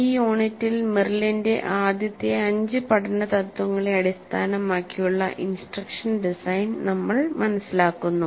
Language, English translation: Malayalam, So in this unit we understand instruction design based on Merrill's five first principles of learning